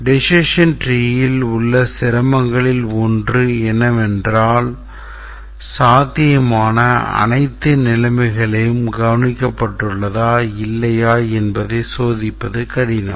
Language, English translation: Tamil, One of the difficulty in a decision tree is that it becomes difficult to check whether all possible combinations of conditions have been taken care or not